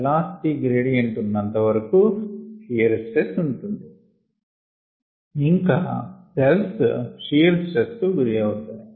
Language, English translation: Telugu, as long as there are velocity gradients there is going to be shear stress and the cells are going to experience shear stress